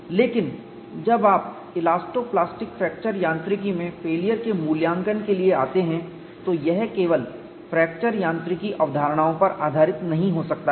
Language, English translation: Hindi, We say that we want to do fracture mechanics analysis, but when you come to failure assessment in elasto plastic fracture mechanics, it cannot be based on fracture mechanics concepts alone